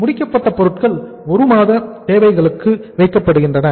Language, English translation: Tamil, Finished goods are kept for 1 month’s requirements